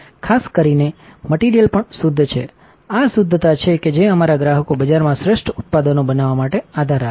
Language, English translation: Gujarati, Typically the material is even pure, it is this purity that our customers rely on to create the best products in the market